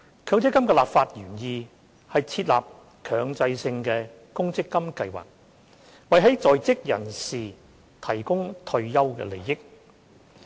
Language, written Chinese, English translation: Cantonese, 強積金的立法原意，是設立強制性公積金計劃，為在職人士提供退休利益。, The legislative intent behind the MPF System is to set up MPF schemes for the retirement benefits of people in employment